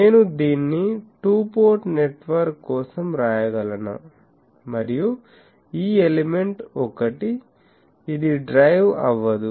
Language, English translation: Telugu, Can I write this for a two port network and, and this element 1, it is not driven